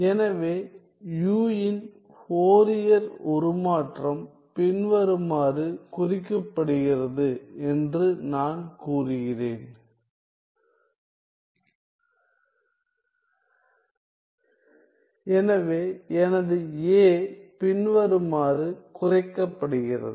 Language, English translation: Tamil, So, well let me just say that the Fourier transform of u is denoted by u of k comma y notice that the Fourier transform is with respect to x